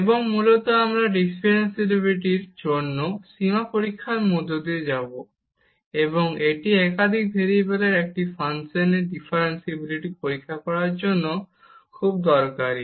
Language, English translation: Bengali, And basically we will go through the limit test for differentiability, and that is very useful to test differentiability of a function of more than one variable